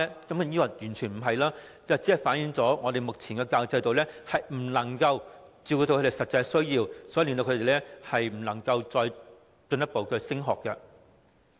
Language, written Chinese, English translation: Cantonese, 當然不是，這只是反映我們目前的教育制度不能夠照顧他們的實際需要，以致他們無法繼續升學而已。, Of course not . It only reflects the inability of the present education system to address their actual needs thus making it impossible for them to pursue further education